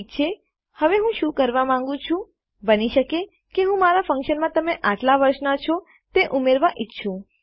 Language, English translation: Gujarati, Thus youve seen how it works All right, now, what I want to do is, I might want to add to my function to say that you are so and so years old